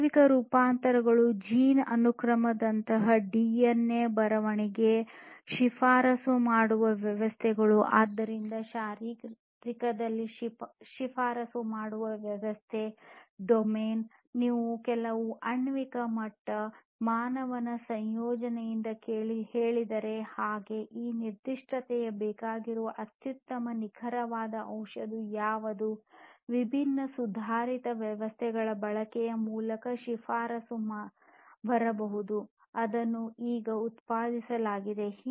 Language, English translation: Kannada, Biological transformations adoption of different technologies such as gene sequencing, DNA writing, recommender systems, so recommender system in the physiological domain is about like if you tell some of the molecular level, you know, composition of a human being then what is the best precise drug that should be administered to that particular human that recommendation can come in through the use of different advanced systems that have been produced now